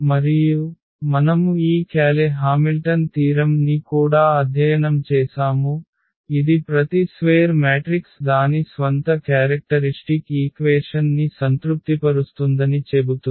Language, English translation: Telugu, And, we have also studied this Cayley Hamilton theorem which says that every square matrix satisfy its own characteristic equation